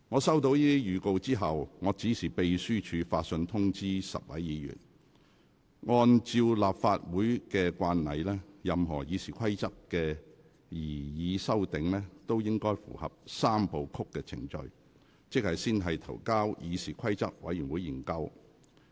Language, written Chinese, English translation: Cantonese, 收到這些預告後，我指示秘書發信通知10位議員，按照立法會慣例，任何《議事規則》的擬議修訂，均應合乎"三部曲"程序，即先提交議事規則委員會研究。, Upon receipt of these notices I directed the Clerk to write to inform these 10 Members that according to the practice of the Legislative Council any proposed amendment to RoP must comply with the three - step process that is first submit the proposal to CRoP for examination then CRoP will after examination report its recommendation on the proposed amendments to RoP to the House Committee as necessary